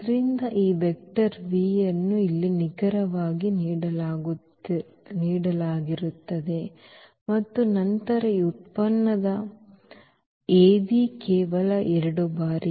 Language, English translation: Kannada, So, this vector v which is given here as is exactly this one and then the Av after this product it is just the 2 times